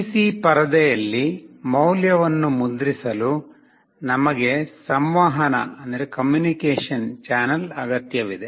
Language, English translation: Kannada, To print the value on the PC screen, we need a communication channel